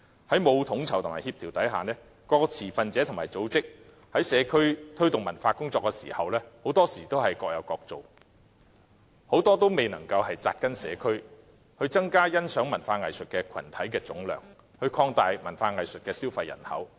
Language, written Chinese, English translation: Cantonese, 在沒有統籌和協調下，各個持份者和組織在社區推動文化工作時，很多時候都是各有各做，很多也未能扎根社區，增加欣賞文化藝術群體的總量，擴大文化藝術的消費人口。, Without overall planning and coordination all stakeholders and organizations often just work on their own in promoting cultural initiatives in the communities with most of them failing to take root in the neighbourhood to increase the total viewership of arts and culture and expand the consumer population